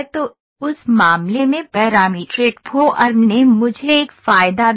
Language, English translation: Hindi, So, in that case the parametric form gave me an advantage